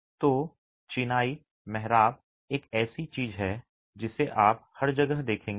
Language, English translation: Hindi, So, masonry arches is something that you would see everywhere